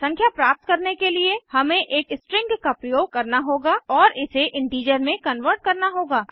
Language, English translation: Hindi, To get the number, we have to use a string and convert it to an integer